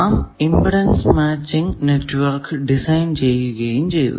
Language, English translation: Malayalam, We have seen the design of impedance matching network